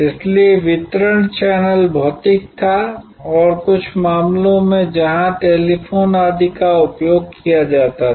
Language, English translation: Hindi, So, the distribution channel was physical and in some cases there where use of telephone and so on